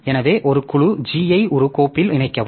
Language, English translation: Tamil, So, this G becomes the group of this file